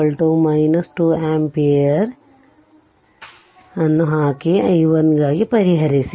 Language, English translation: Kannada, So, here you put i 2 is equal to minus 2 ampere and solve for i 1 so, let me clear it